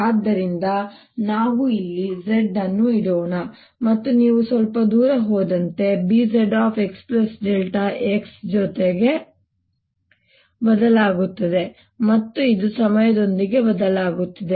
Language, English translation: Kannada, so let's put z here and as you go little farther out, it changes to b, z, x plus delta x, and it also is changing with time